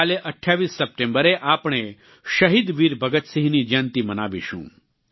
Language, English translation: Gujarati, Tomorrow, the 28th of September, we will celebrate the birth anniversary of Shahid Veer Bhagat Singh